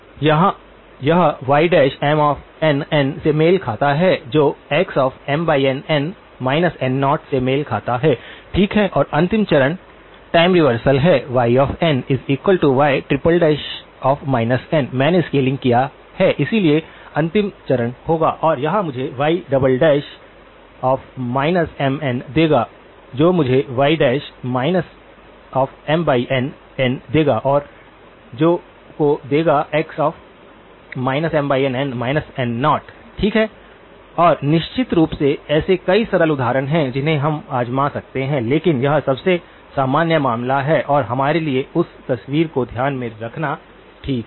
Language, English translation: Hindi, This corresponds to y dash of M n by N that corresponds to x of M n by N minus N naught, okay and the last step is a time reversal y of n is y triple prime of minus n, I have done the scaling, so the last step will be the and this will give me y double prime of minus M n that will give me y prime of minus M n by N and that will give me x of minus M n by N minus N naught, okay and of course, there are several simple examples that we can try out but this is the most general case and good for us to keep that picture in mind, okay